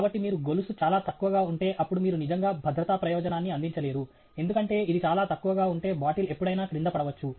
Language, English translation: Telugu, So, if you have the chain too low, then you have actually not served the safety purpose, because if it is too low, the bottle can still fall down